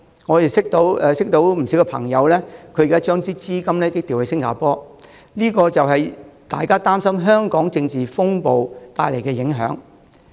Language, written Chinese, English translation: Cantonese, 我認識的不少朋友，現時已把資金調往新加坡，這是因為他們擔心香港政治風暴所帶來的影響。, Among the people I know many have transferred their assets to Singapore because they are worried about the repercussions of the political storm in Hong Kong